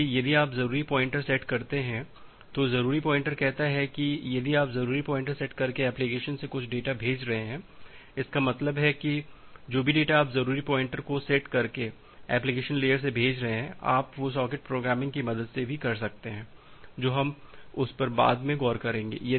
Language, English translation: Hindi, So, if you set the urgent pointer, the urgent pointer says that well if you are sending some data from the application by setting the urgent pointer; that means, whatever data you are sending from the application layer by setting the urgent pointer, you can do that with the help of socket programming, we will look into that